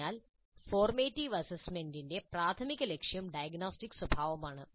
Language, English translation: Malayalam, So the primary purpose of format assessment is diagnostic in nature